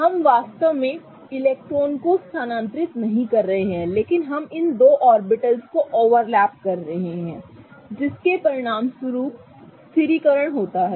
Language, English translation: Hindi, We are not actually transferring the electrons but we are kind of overlapping these two orbitals which results in stabilization